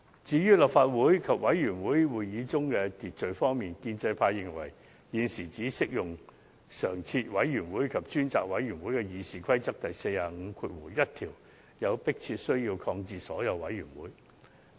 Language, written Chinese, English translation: Cantonese, 就立法會及委員會會議中的秩序方面而言，建制派認為，有迫切需把《議事規則》第451條的適用範圍，由常設委員會及專責委員會擴大至涵蓋所有委員會。, Concerning the order in Council and Committee Members of the pro - establishment camp are of the view that there is an urgent need to extend the scope of application of RoP 451 covering standing committees and select committees to include all PanelsCommittees